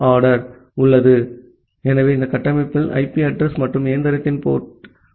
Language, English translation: Tamil, So, this structure contains the IP address and the port of the machine